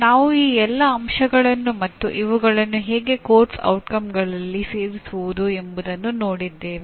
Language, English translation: Kannada, We looked at all these elements and how do you incorporate these elements into a Course Outcome